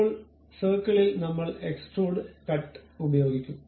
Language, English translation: Malayalam, Now, on the circle I will go use Extrude Cut